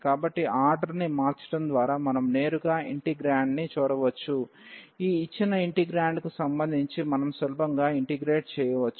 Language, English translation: Telugu, So, by changing the order we can see directly looking at the integrand, that we can easily integrate with respect to y this given integrand